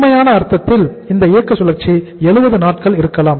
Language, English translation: Tamil, In the real sense this operating cycle maybe of 70 days